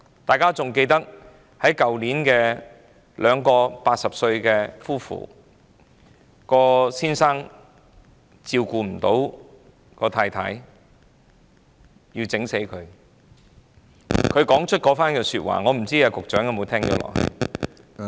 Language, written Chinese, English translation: Cantonese, 大家應該還記得去年有一對80歲高齡的夫婦，丈夫因無法照顧妻子而將她殺死，他當時說出的那句話不知局長可有聽到？, As we may all recall in a case last year which involved an old couple aged 80 the wife was killed by her husband as the latter had difficulty taking care of the former . Has the Secretary noticed what the husband said then? .